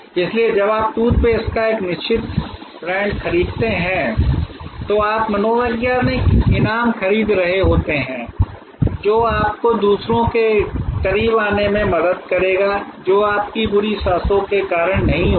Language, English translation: Hindi, So, when you buy a certain brand of toothpaste you are buying the psychological reward that it will help you to get close to others, who will not get repulsed by your bad breath